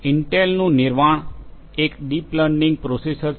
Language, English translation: Gujarati, Intel’s Nervana is a deep learning processor